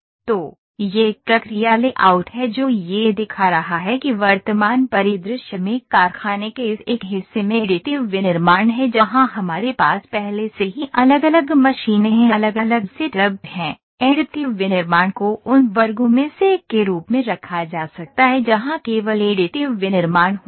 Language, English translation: Hindi, So, this is a process layout it is showing that additive manufacturing this one part of the factory in the present scenario where we already have different machines here different set up, additive manufacturing can be put as one of the sections where only additive manufacturing happens